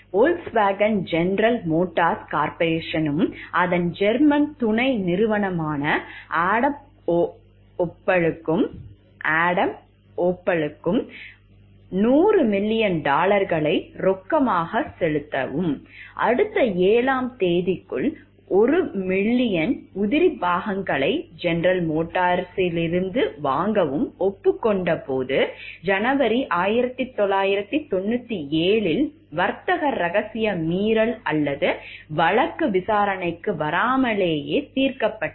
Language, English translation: Tamil, A high profile case of trade secret violation or settle in January 1997, without coming to trial with Volkswagen agreed to pay General Motors Corporation and its German subsidiary Adam Opel 100 million dollars in cash and to buy 1 billion in parts from GM over the next 7 years why